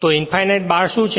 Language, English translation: Gujarati, So, what is infinite bars